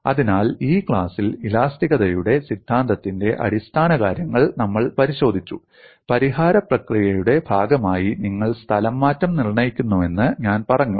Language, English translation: Malayalam, So, in this class, we have looked at basics of theory of elasticity; I have said that you determine displacement as part of the solution procedure